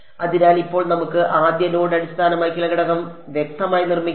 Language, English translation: Malayalam, So, now let us actually explicitly construct the first node based element